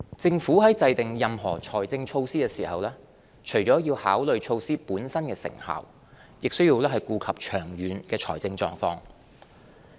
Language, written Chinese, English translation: Cantonese, 政府在制訂任何財政措施時，除了要考慮措施本身的成效，亦需顧及長遠的財政狀況。, In formulating budget measures the Government has to take into account the long - term fiscal position in addition to the effectiveness of the measures